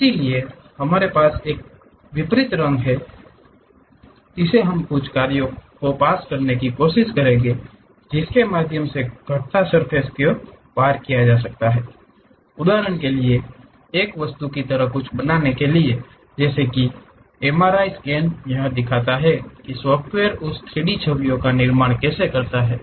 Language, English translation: Hindi, So, we have color contrast from there we will try to impose certain functions pass curves surfaces through that to create something like an object for example, like MRI scan how the software really construct that 3D images